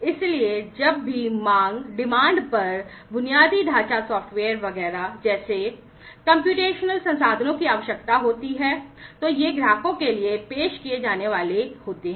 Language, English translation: Hindi, So, on demand whenever computational resources like infrastructure software is etcetera are going to be required on demand, these are going to be offered to the customers